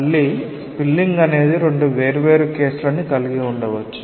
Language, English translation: Telugu, And spilling again may have two different cases